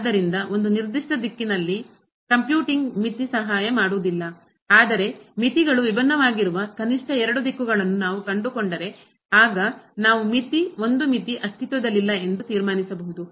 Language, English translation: Kannada, So, computing limit along a particular direction will not help, but at least if we find two directions where the limits are different, then we can conclude that limit is a limit does not exist